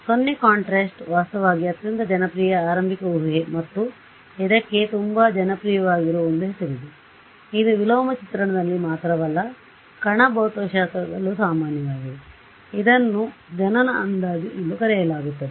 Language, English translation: Kannada, So, 0 contrast is actually is the most popular starting guess and there is a name it is so popular there is a name for it which is common in not just in inverse imaging, but also in particle physics, it is called the Born approximation right to begin with